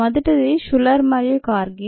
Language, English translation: Telugu, the first one is shuler and kargi ah